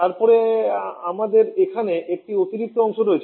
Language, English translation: Bengali, Then we have one additional part here